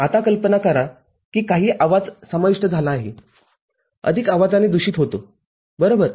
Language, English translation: Marathi, Now, imagine some noise gets into gets corrupted by additive noise right